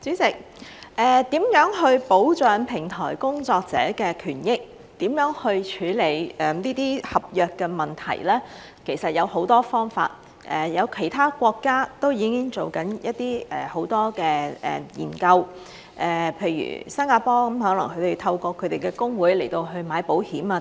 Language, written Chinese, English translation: Cantonese, 主席，如何保障平台工作者的權益，如何處理這些合約的問題，其實有很多方法，其他國家都已經正在做很多研究，譬如新加坡，可能他們透過他們的工會去買保險等。, President actually there are many ways to protect the rights and interests of platform workers and handle these contract - related problems . Many studies are already being conducted in other countries . For example in Singapore a possible way is to let them take out insurance through their labour unions